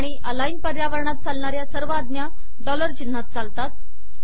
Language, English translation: Marathi, All commands that work in the aligned environment also work within the dollar symbols